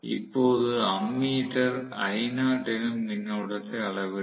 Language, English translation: Tamil, Now, the ammeter measures whatever is the current I not